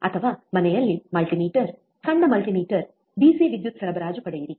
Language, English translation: Kannada, oOr get the multimeter at home, a small multimeter, a DC power supply, right